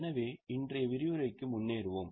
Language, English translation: Tamil, So, let us go ahead with today's session